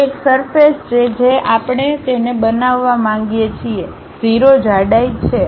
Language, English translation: Gujarati, It is a surface what we would like to construct it, 0 thickness